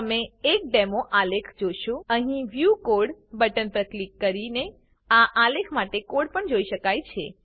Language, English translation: Gujarati, You will see the demo graph The code for this graph can also be seen by clicking on the view code button here